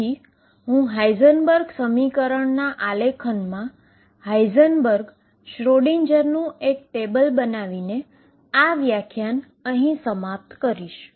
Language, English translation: Gujarati, So, to conclude this lecture let me just make a comparative table for Heisenberg and Schrödinger picture